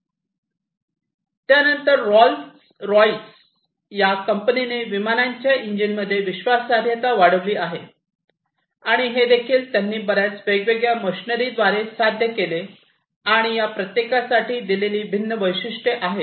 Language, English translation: Marathi, Then another company Rolls Royce increased reliability in aircraft engines, and this also they have achieved through a number of different mechanisms, and these are the different features that have been given for each of them